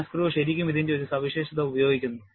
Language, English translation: Malayalam, And NASGRO, really uses a feature of this, a modification of this